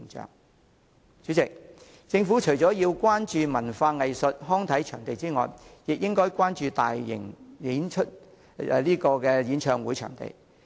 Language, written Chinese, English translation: Cantonese, 代理主席，政府除了要關注文化藝術及康體場地的供求外，亦應關注舉辦大型演唱會的場地。, Deputy President apart from paying attention to the supply of and demand for cultural arts recreational and sports venues the Government should also look at venues for holding large - scale concerts